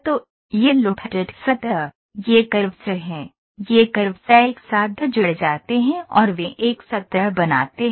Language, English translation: Hindi, So, this lofted surface, these are the curves, these curves are joined together and they form a surface